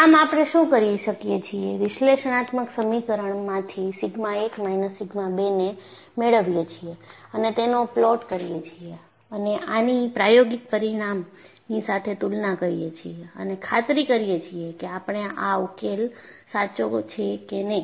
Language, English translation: Gujarati, So, what we could do is, from the analytical equation, get sigma 1 minus sigma 2 and plot them and compare with the experimental result and ensure, whether our solution is correct